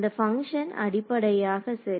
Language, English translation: Tamil, So, this function is basically right